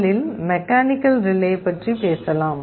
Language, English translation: Tamil, First let us talk about mechanical relay